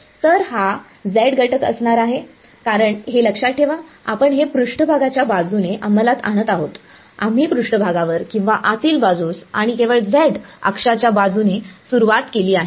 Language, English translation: Marathi, So, this is going to be the z component of it because remember we are enforcing this along we started by say along the surface or on the interior and along the z axis only we are only looking at the z component